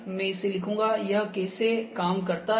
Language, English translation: Hindi, I will write it, How it works